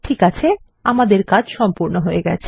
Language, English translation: Bengali, Okay, we are done